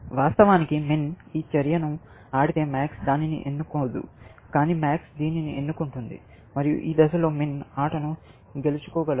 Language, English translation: Telugu, If min plays this move, then max will not choose that, of course, you know, and max will choose this, and at this stage, min can win the game